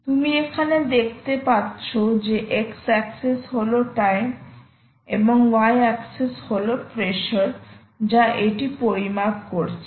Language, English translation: Bengali, you can see that ah, x axis, this is ah, ah, time, and y axis is the pressure and which it is measuring, and it also measures the temperature